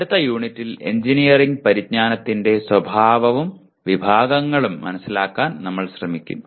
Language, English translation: Malayalam, And in the next unit, we will try to understand the nature and categories of engineering knowledge